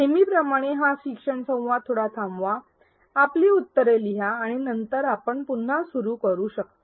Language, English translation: Marathi, As usual pause this learning dialogue, write down your answer and then you may resume